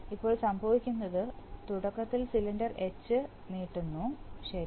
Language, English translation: Malayalam, So now what happens is that initially cylinder H extending, right